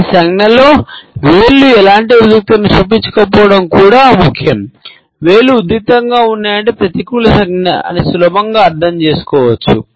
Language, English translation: Telugu, It is also important that fingers do not show any tension in this gesture, if the fingers are tense then it can be understood easily as a negative gesture